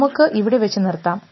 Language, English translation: Malayalam, So, we will stop at this and